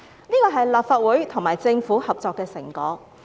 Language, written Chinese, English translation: Cantonese, 這是立法會和政府合作的成果。, This is the fruit of cooperation between the Legislative Council and the Government